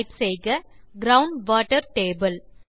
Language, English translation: Tamil, Here, lets type Ground water table